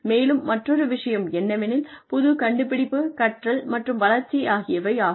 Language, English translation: Tamil, And, the other thing is, innovation, learning, and development